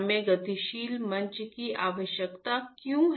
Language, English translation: Hindi, Why we require dynamic platform